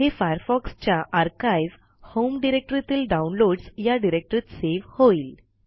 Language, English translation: Marathi, This will save Firefox archive to the Downloads directory under the Home directory